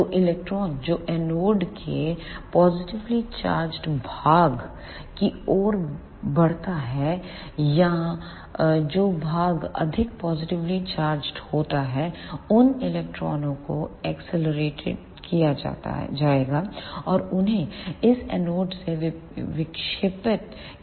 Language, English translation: Hindi, So, the electron which moves towards the positive portion of the anode or the portion which is more positively charged those electrons will be accelerated and they will be deflected from this anode